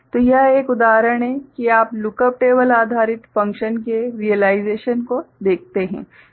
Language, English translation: Hindi, So, this is an example of you know look up table based realization of functions